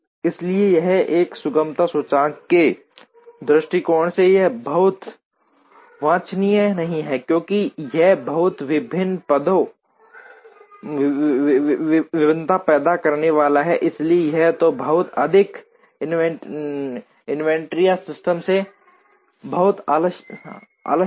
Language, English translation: Hindi, So, this from a smoothness index point of view, this is not very desirable, because it is going to create a lot of variation, so either a lot of inventory or a lot of idleness into the system